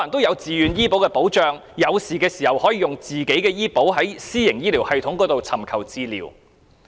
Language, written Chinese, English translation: Cantonese, 有了自願醫保的保障，市民在需要時便可使用私營醫療服務。, With the protection of VHIS members of the public can make use of private health care services when necessary